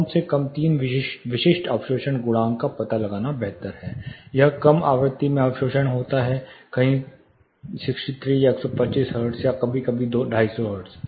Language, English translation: Hindi, It is rather better to locate at least three specific absorption coefficients; that is absorption in the low frequency, something around 63 or 125 hertz or sometime 250 hertz